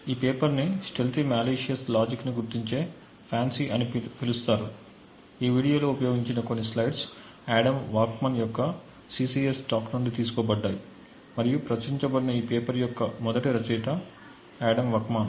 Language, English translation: Telugu, So, the paper is known as FANCI identification of stealthy malicious logic, so some of the slides that are used in this video are borrowed from Adam Waksman’s CCS talk, so Adam Waksman is the first author of this paper that was published